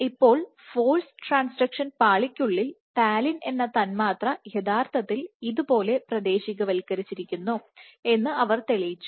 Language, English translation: Malayalam, Now within the force transduction layer what she showed was the molecule called talin is actually localized something like this